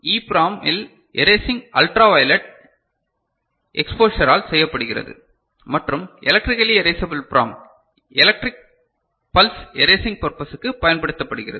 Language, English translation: Tamil, And in EPROM erasing is done by ultraviolet exposure and electrically erasable PROM electric pulse used for erasing purpose